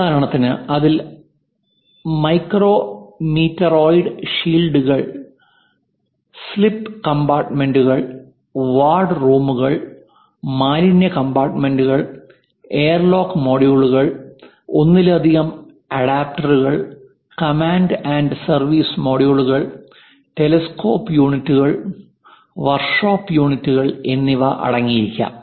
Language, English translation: Malayalam, For example, it might be containing micro meteoroid shields, sleep compartments, ward rooms, waste compartments, airlock modules, multiple adapters, command and service modules, telescope units and workshop units